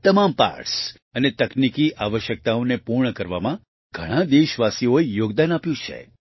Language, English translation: Gujarati, Many countrymen have contributed in ensuring all the parts and meeting technical requirements